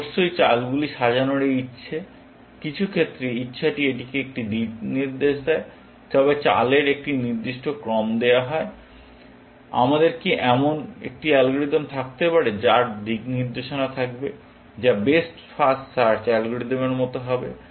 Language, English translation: Bengali, Of course, this desire to order the moves is, in some sense, the desire the give it a direction, but given a fixed order of moves; can we have an algorithm, which will have a sense of direction, which is, which will be like a best first search algorithm